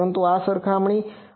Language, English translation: Gujarati, But, this is the comparison